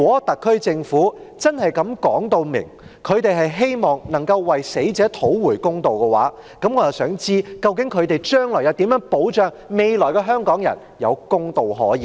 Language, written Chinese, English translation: Cantonese, 特區政府清楚表示希望為死者討回公道，那他們未來又如何保障香港人有公道可言呢？, The SAR Government has made it clear that it will seek justice for the deceased but how can it ensure justice for Hong Kong people in the future?